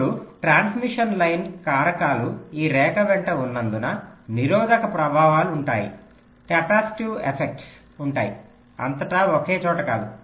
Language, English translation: Telugu, now, because of transmission line factors means along this line there will be resistive effects, there will be capacitive effects, not in one place all throughout